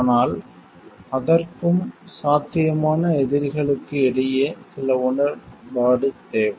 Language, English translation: Tamil, But for that also some agreement is required between the potential adversaries